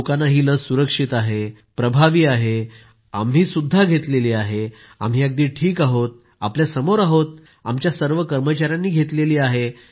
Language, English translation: Marathi, People had to be convinced that this vaccine is safe; effective as well…that we too had been vaccinated and we are well…right in front of you…all our staff have had it…we are fine